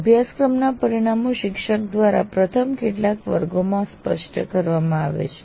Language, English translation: Gujarati, The course outcomes of the course are made clear in the first few classes by the teacher